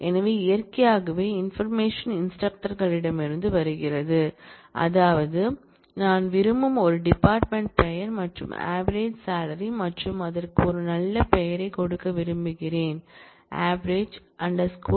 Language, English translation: Tamil, So, naturally the information comes from instructor, that is from what I want is a department name and the average salary and I want to give it a nice name avg salary